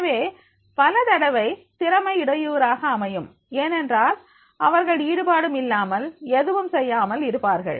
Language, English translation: Tamil, And so many times the talent is disruptive because they are not involved or engaged